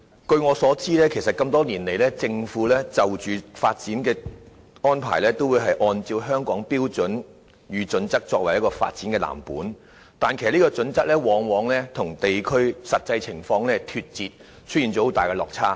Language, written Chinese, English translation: Cantonese, 據我所知，多年來，政府的發展計劃均根據《規劃標準》作為藍本，但有關標準往往與地區實際情況脫節，出現很大的落差。, As far as I know over the years the Governments development projects have been based on HKPSG but the relevant standards have very often been detached from the actual situation of the districts and there have been large differences